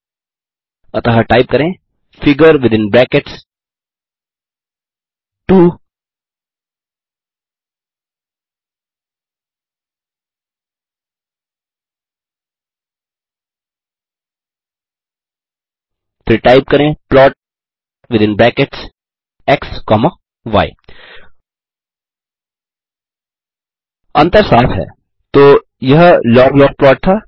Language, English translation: Hindi, figure within brackets 2 THen type plot within brackets x comma y The difference is clear.So that was log log() plot